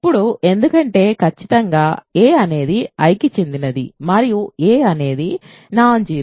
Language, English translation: Telugu, Now, since certainly a belongs to I right and a is non zero